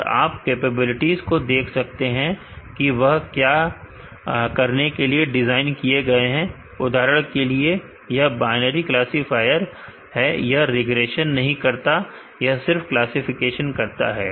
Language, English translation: Hindi, And you can see the capabilities what they are designed to do for example, this is a binary classifier it does not do regression does the only classification